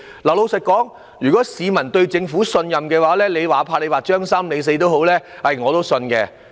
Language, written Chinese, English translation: Cantonese, 老實說，如果市民信任政府，哪怕劃"張三"或"李四"，我都會相信。, If your name is Dick the name Dick will be crossed out . Frankly speaking if the public have trust in the Government they will not have doubts about the names being crossed out